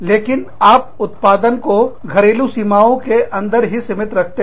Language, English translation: Hindi, But, retain your production, within domestic borders